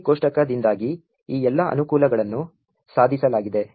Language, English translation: Kannada, All of these advantages are achieved because of the GOT table